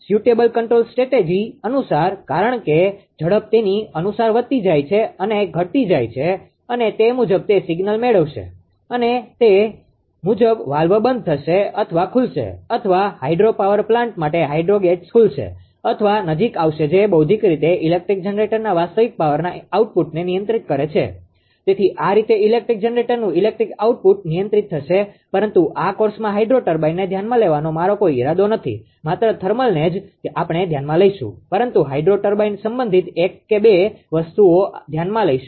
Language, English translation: Gujarati, In the accordance with the suitable control strategy because whether speed is decreasing increasing according to that it will receive the signal and according to that valve will be closing or opening or hydro gates for hydropower plant it will open or close right which intellectually controls the real power output of the electric generator, this way electric ah output of electric generator will be controlled course, but in this course I have no interesting to consider the hydro turbine right only thermal one, we will consider, but one or two things regarding hydro turbine actually in hydro turbine that you have a reservoir right you have a dam you have a reservoir and basically water ah your traveling to the penstock to the turbine